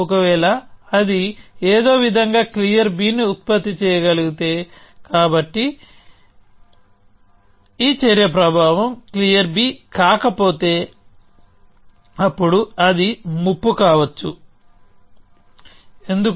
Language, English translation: Telugu, If it can somehow produce lot of clear b; so if this action has an effect not clear b, then it could be a threat, why